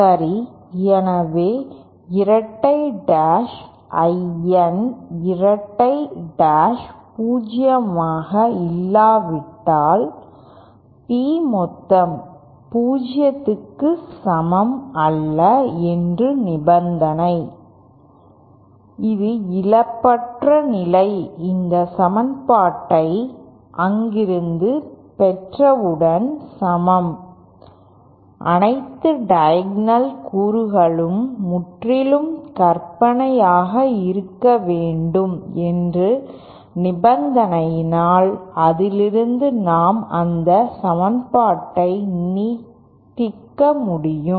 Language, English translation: Tamil, Okay, so then if N double dash I N double dash is also not zero then the condition of P real part of the P total being equal to 0 that is the lostless condition equates to once we have derived this equation from there, we can further because of that condition that all diagonal elements should be purely imaginary from that we can simply extend that equation as